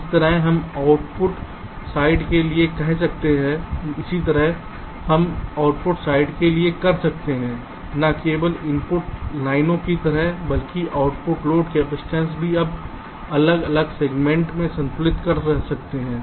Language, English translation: Hindi, similarly we can do for the output side, like, not only the input lines but also the output load capacitance you can balance across the different ah sigma